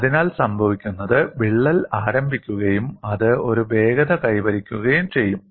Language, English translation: Malayalam, So what would happen is the crack would initiate, and it would acquire the velocity